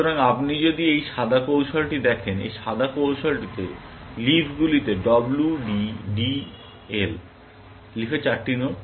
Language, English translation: Bengali, So, if you look at this white strategy, in this white strategy, the leaves have W, D, D, L; four nodes in the leaves